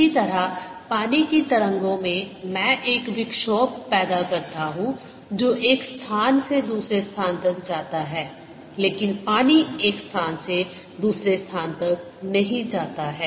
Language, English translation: Hindi, similarly, in water waves i create a disturbance that travels from one place to the other, but water does not go from one place to other